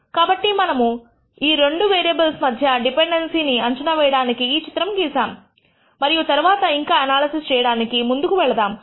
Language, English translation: Telugu, So, this is a plot which we will do in order to assess dependency between two variables and then proceed for further for analysis